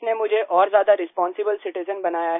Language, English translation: Hindi, It has made me a more responsible citizen Sir